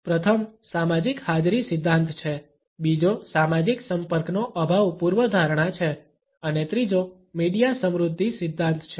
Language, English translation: Gujarati, The first is a social presence theory, the second is lack of social contact hypothesis and the third is the media richness theory